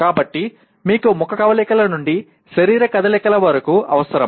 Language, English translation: Telugu, So you require right from facial expressions to body movements you require